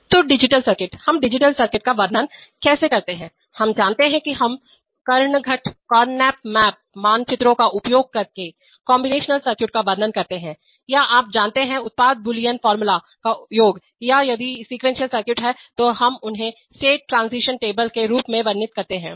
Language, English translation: Hindi, So digital circuits, how do we describe digital circuits, we know that we describe combinational circuits using karnaugh maps or you know, sum of product Boolean formula or if there are sequential circuits then we describe them as state transition tables